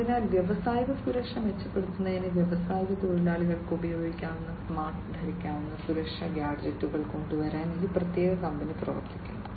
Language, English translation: Malayalam, So, this particular company is working on coming up with smart wearable safety gadgets, which can be used by the industrial workers to improve upon the industrial safety